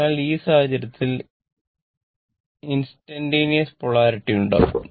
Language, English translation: Malayalam, So, in this case, instantaneous polarity will be there